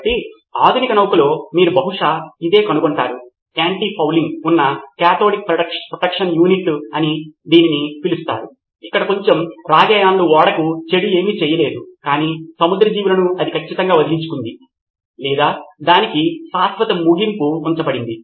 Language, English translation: Telugu, So, this is what you would probably find in a modern ship, a cathodic protection unit with anti fouling as it is called where a little bit of copper ions never did anything bad to the ship but marine life it definitely got rid of or put permanent end to that